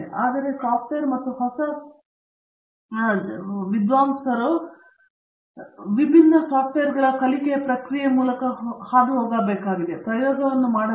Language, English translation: Kannada, So, whether it is a software and induction of the new comers into the learning process for different softwares or whether it is the fabrication or whether it is experimentation